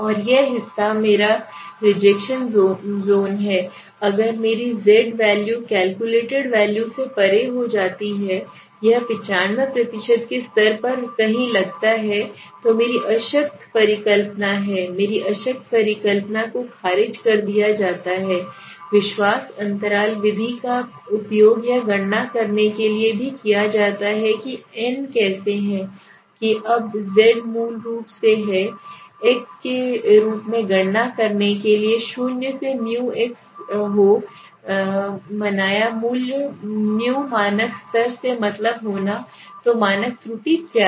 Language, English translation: Hindi, And this portion is my rejection zone okay so if the calculated value if my z value falls beyond this at a 95% level suppose somewhere here then my null hypothesis is which I will explain that my null hypothesis is rejected let s assume that so how why it is I am talking about this now this confidence interval method is used to calculate even the n now how is that now z is basically equal to calculate as X minus x be the observed value be the mean from the standard level so what is the standard error has to be understood